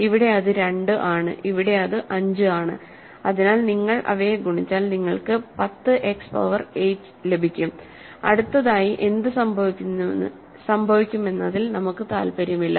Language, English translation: Malayalam, Here it is 2, here it is 5, so if you multiply them you get 10 X power 8 and we are not interested in what happens next